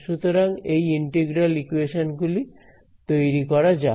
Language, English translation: Bengali, So, let us formally these integral equations